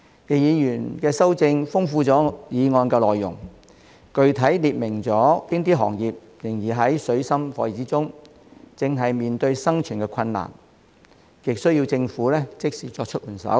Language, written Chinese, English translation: Cantonese, 易議員的修正案豐富了我的議案內容，具體列明了哪些行業仍然處於水深火熱之中，正在面對生存困難，極需要政府即時作出援手。, Mr YICKs amendment has enriched the content of my motion by specifying which industries are still in dire straits facing difficulties in survival and in great need of immediate government assistance